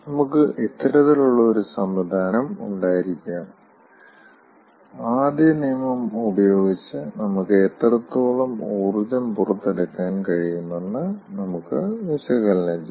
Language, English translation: Malayalam, we can have this kind of a system and from the first law we can analyze that, how much energy we can extract a